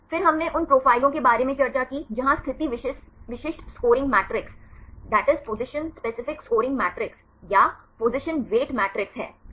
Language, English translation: Hindi, Then we discussed about the profiles where position specific scoring matrices or position weight matrix right